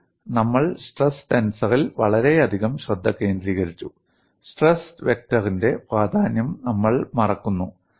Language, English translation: Malayalam, But we have focused so much on stress tensor; we forget the importance of stress vector